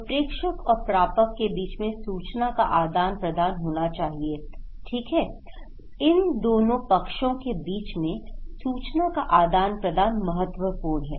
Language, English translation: Hindi, So, sender and receiver they should exchange information, okay, exchange of information is critical between these two parties